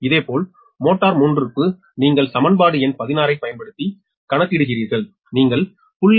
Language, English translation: Tamil, similarly for motor three, you calculate same using equation sixteen